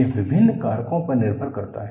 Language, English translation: Hindi, It depends on various factors